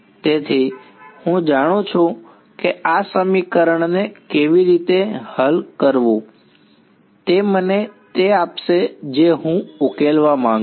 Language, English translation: Gujarati, So, I know how to solve this equation it will give me the solution will be what supposing I want to solve this